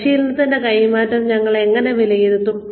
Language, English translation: Malayalam, How do we evaluate the transfer of training